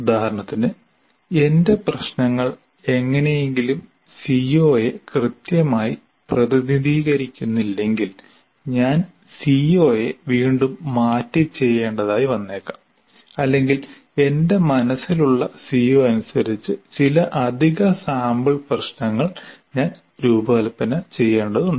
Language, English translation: Malayalam, For example, if my problems do not somehow is not exactly representing the CO, I may be required to reword the CO or I may have to redesign some additional sample problems to really capture the CO that I have in mind